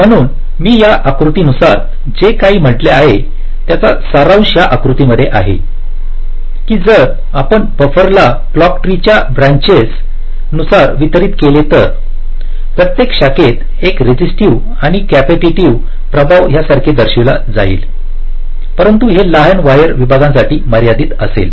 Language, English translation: Marathi, ok, so this diagram actually summarizes whatever i have said diagrammatically: that if you distribute the buffers along the branches of the clock tree, so along each, each branch, there will be a resistive and capacitive effects shown like this, but this will restricted to shorter wire segments, so the rc delays for each of the segments will be much less